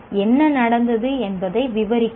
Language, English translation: Tamil, Describe what happened yet